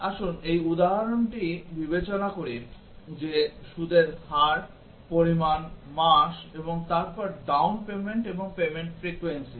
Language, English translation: Bengali, Let us consider this example that the interest rate, the amount, the months and then down payment and payment frequency